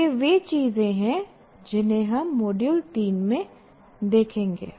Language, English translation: Hindi, So these are the things that we will look at in module 3